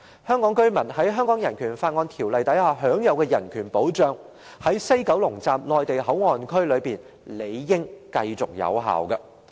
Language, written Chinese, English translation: Cantonese, 香港居民在《香港人權法案條例》下享有的人權保障，在西九龍站內地口岸區理應繼續有效。, The protection of human rights to which Hong Kong residents are entitled under BORO should remain in force in MPA in WKS